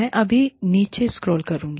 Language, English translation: Hindi, I will just scroll down